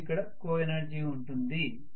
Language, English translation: Telugu, So let us try to look at what is coenergy